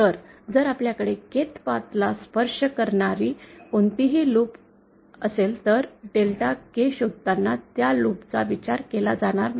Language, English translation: Marathi, So, if we have any loop that is touching the Kth path, then that loop will not be considered while finding out Delta K